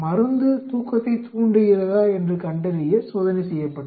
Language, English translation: Tamil, Drug was being tested to see whether it induces sleep